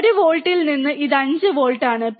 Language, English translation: Malayalam, Which is one volt, right 1 volt 1 volt